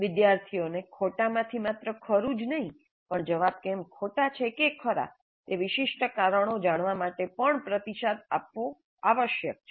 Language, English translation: Gujarati, And feedback must be provided to help the students know not only the right from the wrong, but also the reasons why a particular answer is wrong are right